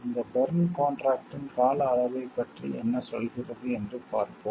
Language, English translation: Tamil, And let us see what this Berne contract tells about the duration